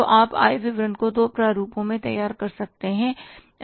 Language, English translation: Hindi, So you can prepare the income statement in two formats